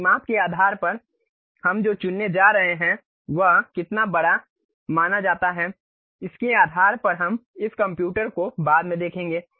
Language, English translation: Hindi, Based on the dimensions what we are going to pick how big is supposed to be based on that we will see this computer later